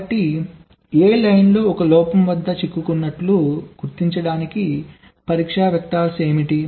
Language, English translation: Telugu, so for detecting stuck at one fault in line a, what are the possible test vectors